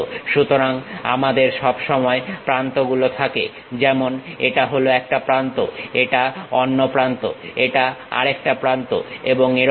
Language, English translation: Bengali, So, we always be having edges; something like this is one edge, other edge and this one is another edge and so on